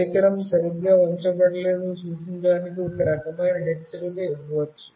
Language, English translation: Telugu, Some kind of alert may be given to indicate that the device is not properly placed